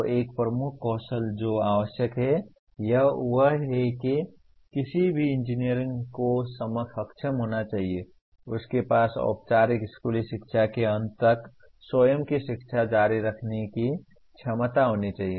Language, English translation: Hindi, So one of the key skills that is required is any engineer should be able to, should have the ability to continue one’s own self education beyond the end of formal schooling